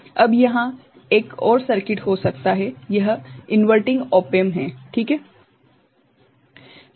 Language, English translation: Hindi, Now, there could be another circuit, this is inverting op amp ok